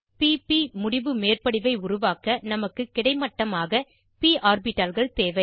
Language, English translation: Tamil, To form p p end on overlap, we need p orbitals in horizontal direction